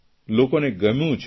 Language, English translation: Gujarati, People like it